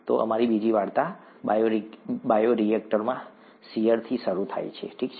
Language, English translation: Gujarati, So our second story starts with shear in the bioreactor, okay